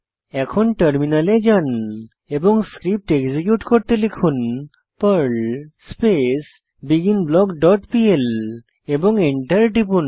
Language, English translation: Bengali, Then switch to terminal and execute the script by typing, perl beginBlock dot pl and press Enter